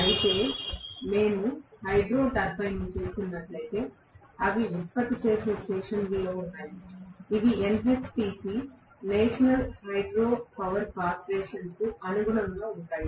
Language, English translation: Telugu, Whereas, if we are looking at Hydro turbine, which are there in generating stations, which correspond to NHPC National Hydro Power Corporation